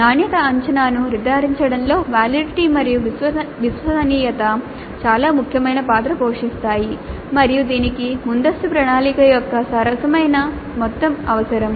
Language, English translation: Telugu, So, this validity and reliability play a very important role in ensuring quality assessment and this requires fair amount of planning upfront